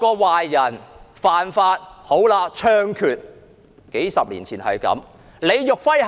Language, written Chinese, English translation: Cantonese, 壞人犯法便要槍決，數十年前便是如此。, Bad guys have to be executed for breaking the law as was the case decades ago